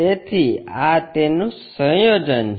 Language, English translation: Gujarati, So, this is the combination